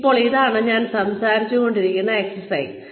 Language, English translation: Malayalam, Now, this is the exercise, I was talking about